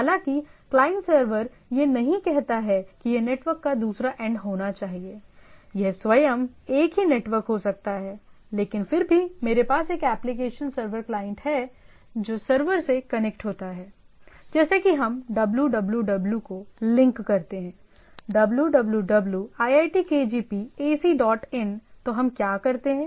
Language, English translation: Hindi, So, though the client server do not say that it should be other end of the network, it can be the same network itself, but nevertheless I have a application server client which connects to the server like when we download www, or link to “www iitkgp ac dot in” , then what we do